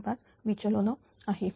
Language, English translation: Marathi, 0235 it is 60